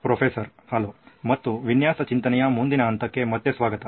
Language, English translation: Kannada, Hello and welcome back to the next stage of design thinking